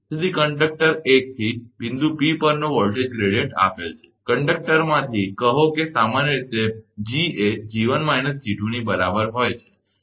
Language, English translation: Gujarati, So, the voltage gradient at point P from conductor 1 is given by, say from conductor is generally G is equal to capital G is equal to capital G1 minus G2